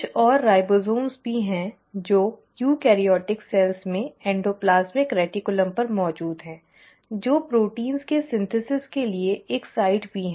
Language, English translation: Hindi, There are also ribosomes which are present on the endoplasmic reticulum in eukaryotic cells that is also a site for synthesis of proteins